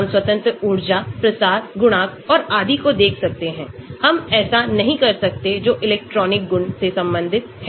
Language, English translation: Hindi, we can look at free energies, diffusion, coefficient and so on so, we cannot do those which are related to the electronic property